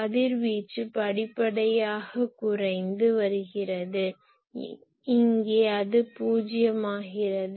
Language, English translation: Tamil, Radiation is gradually diminishing and here it is coming to 0